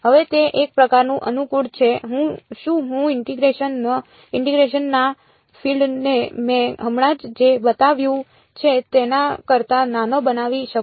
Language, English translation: Gujarati, Now it’s sort of convenient can I make the region of integration smaller than what I have shown right now